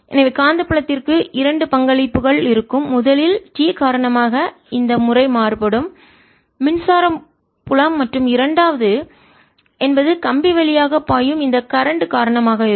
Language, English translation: Tamil, so there will be two contribution to magnetic field, first due to this time varying electric field and the second due to this current which is flowing through the wire